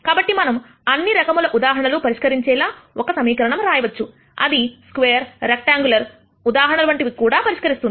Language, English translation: Telugu, So, that we can write one equation which solves all of these cases square rectangular cases and so on